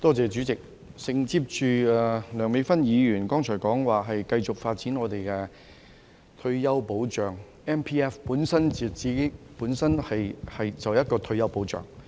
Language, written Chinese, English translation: Cantonese, 代理主席，承接梁美芬議員剛才說繼續發展我們的退休保障 ，MPF 本身就是一個退休保障。, Deputy President on Dr Priscilla LEUNGs previous remark about continuous development of our retirement protection system MPF is a kind of retirement protection per se